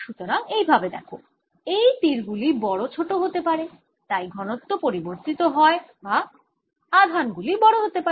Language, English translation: Bengali, so let's see that d is maybe arrows are getting bigger, or arrows, so density varies, or the charges are becoming bigger